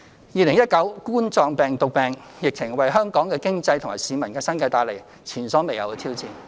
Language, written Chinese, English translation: Cantonese, 2019冠狀病毒病疫情為香港的經濟和市民的生計帶來前所未有的挑戰。, The COVID - 19 epidemic has posed unprecedented challenges to the economy of Hong Kong and peoples livelihood